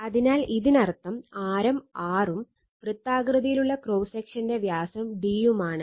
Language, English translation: Malayalam, So, that means, your this one, your the radius mean radius R, circular cross section the of the diameter is d